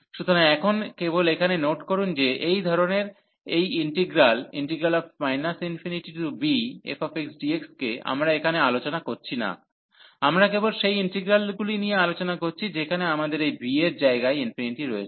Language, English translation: Bengali, So, now just in note here that this integral of this type minus infinity to b f x dx, we are not you normally discussing here, we are just discussing the integrals where we have infinity in place of this b